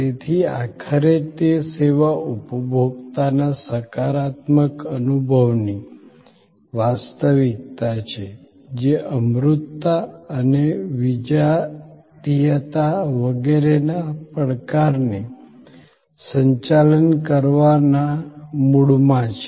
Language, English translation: Gujarati, So, ultimately it is the genuineness of the positive experience of the service consumer which is at the core of managing the challenge of intangibility and heterogeneity, etc